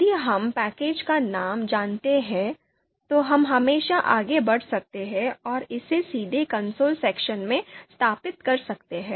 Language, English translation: Hindi, And any package if we know the name of the package, we can always go ahead and install it in this console section